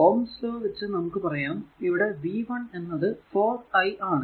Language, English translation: Malayalam, So, ohms law will say that v 0 is equal to 4 into i 0